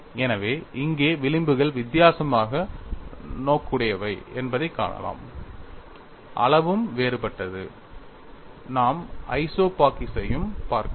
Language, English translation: Tamil, So, here we find the fringes are differently oriented, the size is also different and we could also look at the isopachics